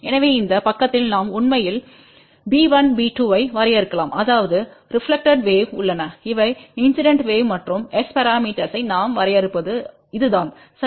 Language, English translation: Tamil, So, we can actually define b 1, b 2 on this side that means, there are the reflected wave these are the incident wave and this is how we define S parameters, ok